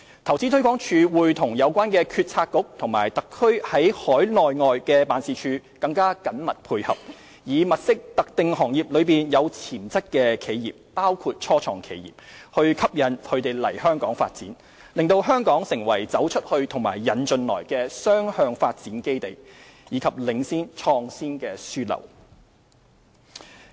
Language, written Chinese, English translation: Cantonese, 投資推廣署會與有關政策局和特區在海內外的辦事處更緊密配合，以物色特定行業中有潛質的企業，吸引其來港發展，使香港成為"走出去"和"引進來"的雙向發展基地，以及領先創業樞紐。, InvestHK will maintain closer ties with the relevant Policy Bureaux and HKSARs offices overseas and in the Mainland in order to identify potential enterprises in specific sectors including start - ups and to attract them to set up operations in Hong Kong . This will strengthen Hong Kongs position as a two - way development base for going global and attracting foreign investment and a leading hub for start - ups and entrepreneurship